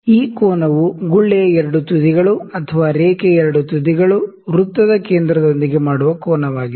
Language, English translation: Kannada, This angle is the angle that the 2 ends of the bubble 2 ends of the line make with the centre of the circle